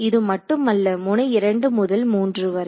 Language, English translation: Tamil, Not just node 2 3 along 2 to 3